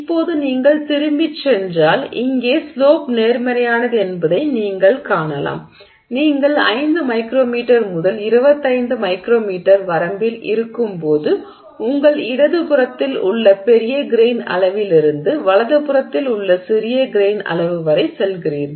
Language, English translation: Tamil, Okay, so if you go back now you can see here this is a slope is positive when you are in the 5 micrometer to 25 micrometer range you are going from from large grain size on your left hand side to small grain size on your right hand side